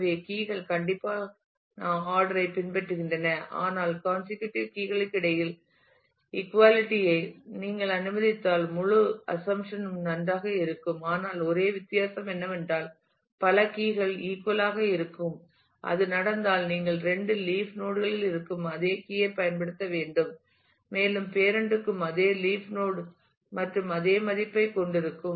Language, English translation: Tamil, So, the keys follow strict ordering, but the whole assumption will also hold good, if you allow the equality between the consecutive keys, but only difference is there could be multiple keys which are all equal; and if that happens then you have to use the same key value present at the two leaf nodes and the parent will also have the same leaf node same value